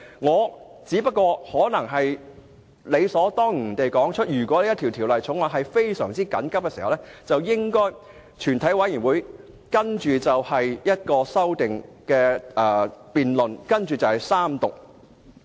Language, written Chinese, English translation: Cantonese, 我只想指出，如果本會要緊急處理某項法案，便應由全體委員會就修正案進行辯論和予以三讀。, I merely wish to point out that if this Council is to deal with a certain Bill urgently the amendments to it should be debated by a committee of the whole Council and the Bill will be read the Third time